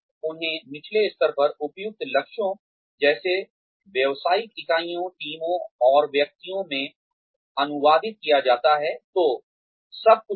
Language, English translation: Hindi, And, they are translated into, appropriate goals at lower levels, such as business units, teams, and individuals